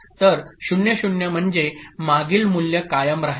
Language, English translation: Marathi, 0 means previous value will be written